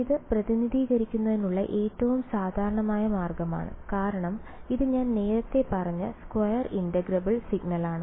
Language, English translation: Malayalam, This is the most general possible way of representing it because it is I mean square integrable signal that I have ok